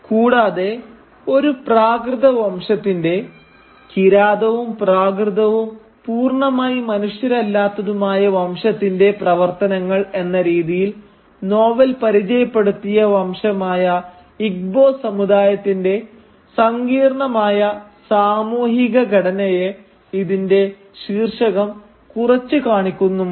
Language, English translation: Malayalam, And the title also diminishes the highly complex social structure of the Igbo community which the novel has introduced us to into the activities of a “Primitive Race” a race which is savage, barbaric and not even fully human